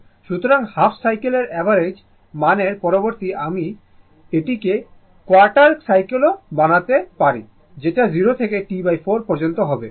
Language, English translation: Bengali, So, instead of half cycle average value you can make it quarter cycle also 0 to T by 4